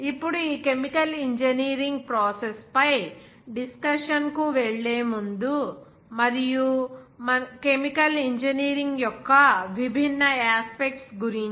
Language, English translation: Telugu, Now before going to the discussion on this chemical engineering process and also different aspects of chemical engineering